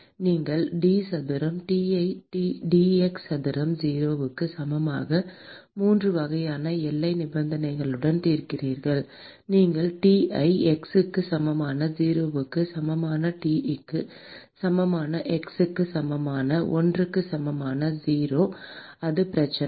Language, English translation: Tamil, You solve d square T by d x square equal to 0 with 3 types of boundary conditions: you can say T at x equal to 0 equal to T at x equal to 1 equal to 0 that is 1 problem